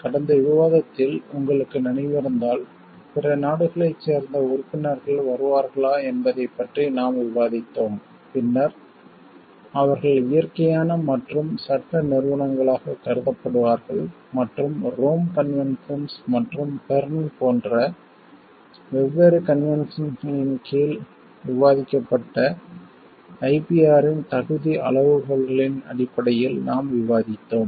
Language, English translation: Tamil, And we in the last discussion if you remember, we have discussed about like the if the members from other countries are coming, then they are treated as natural and legal entities and based on the eligibility criteria of IPR as discussed under different conventions like Rome Conventions and Berne Conventions and this; we will discuss in details about these conventions in subsequent discussions